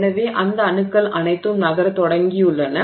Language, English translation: Tamil, So, planes of atoms are begun to move